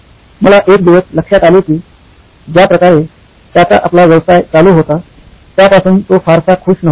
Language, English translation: Marathi, Now I one day noticed that he was not too happy with the way his business was being run